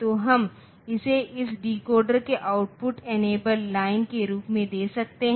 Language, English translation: Hindi, So, these we can give it as a output enable line of this decoder